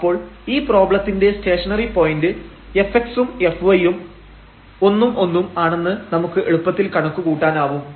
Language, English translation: Malayalam, So, the stationary point for this problem we can easily compute f x and f y and they come to be 1 and 1